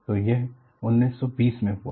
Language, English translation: Hindi, So, it happened in 1920